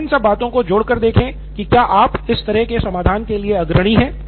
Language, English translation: Hindi, Just sum it up and see if you are leading to some such solution or something